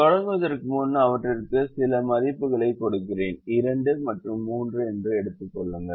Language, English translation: Tamil, so to begin with i just give some values to them, say two and three